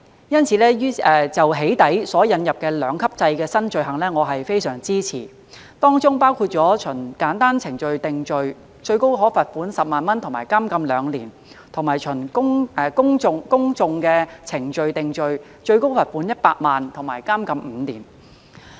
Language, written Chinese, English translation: Cantonese, 因此我非常支持就"起底"所引入的兩級制的新罪行，當中包括循簡易程序定罪，最高可罰款10萬元和監禁2年，以及循公訟程序定罪最高罰款100萬元和監禁5年。, Therefore I strongly support the introduction of new offences for doxxing under a two - tier structure namely a summary offence with a maximum penalty of a 100,000 fine and two years imprisonment and also an indictable offence carrying a maximum penalty of a 1 million fine and a prison term of five years